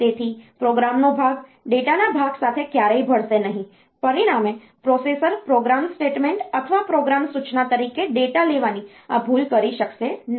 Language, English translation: Gujarati, So, program part will never mix with data part, as a result the processor cannot do this mistake of taking a data as a program statement or program instruction